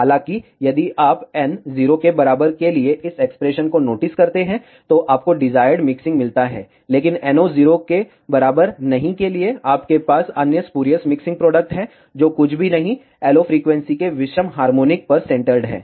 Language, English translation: Hindi, However, if you notice this expression for n equal to 0, you get the desired mixing, but for n not equal to 0, you have other spurious mixing products, which are nothing but centered at odd harmonics of the LO frequency